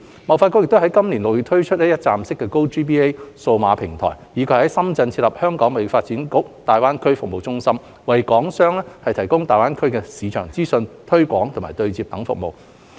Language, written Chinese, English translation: Cantonese, 貿發局已於今年6月推出一站式 "GoGBA" 數碼平台，以及在深圳設立"香港貿發局大灣區服務中心"，為港商提供大灣區市場資訊、推廣、對接等服務。, HKTDC has launched in June this year a one - stop GoGBA digital platform and established the HKTDC GBA Centre in Shenzhen to provide Hong Kong enterprises with market information on GBA as well as business promotion and matching services